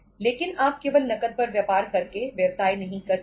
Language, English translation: Hindi, But you canít do the business simply by doing the business on cash